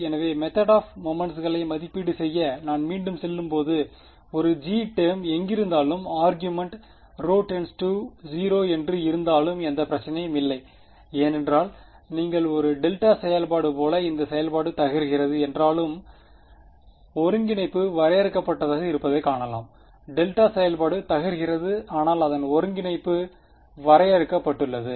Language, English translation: Tamil, So, when I go back into my evaluating those method of moments terms wherever there was a g term there is no problem even if the argument rho is tending to 0 because you can see the integral is finite even though the function is blowing up its like a delta function; delta function is blowing up, but its integral is finite So, that is a singularity, but say integratable singularity right